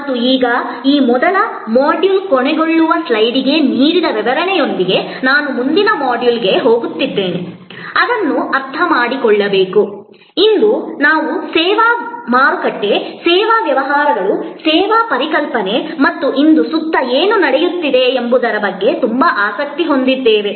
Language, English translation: Kannada, And now, with the explanation given to the first module ending slide, I am moving to the next module which is to understand, why today we are so interested in service market, service businesses, the service concept and what is happening around us today